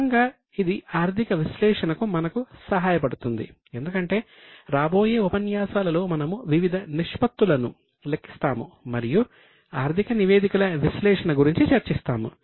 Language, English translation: Telugu, Gradually this will help us to move to analysis because in coming sessions we will calculate various ratios and discuss about analysis of financial statements